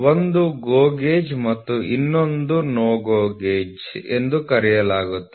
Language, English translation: Kannada, So, GO gauge will be on one side, NO GO gauge will be on the other side